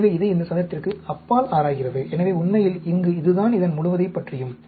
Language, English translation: Tamil, So, it is exploring beyond this square; that is what it is all about, actually, here, in this type of design